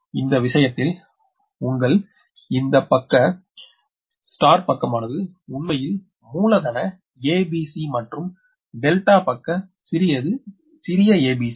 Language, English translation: Tamil, so in this case your this: this side, star side, actually capital a b, c and delta side small a b c